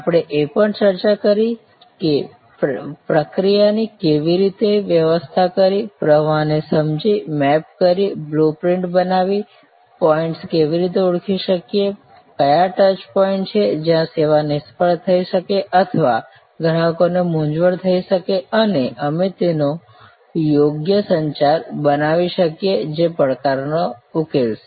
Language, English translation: Gujarati, And we also discussed, how by managing the process, the service process by understanding the process flow, by mapping the process, by creating the blue print, how we can identify points, where the touch points where the service may fail or the customer may have confusion and therefore, we can create their suitable communication, that will resolve the challenge